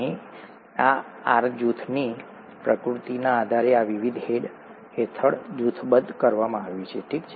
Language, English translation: Gujarati, This has been grouped under these various heads depending on the nature of this R group here, okay